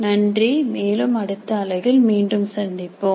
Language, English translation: Tamil, Thank you and we'll meet again in the next unit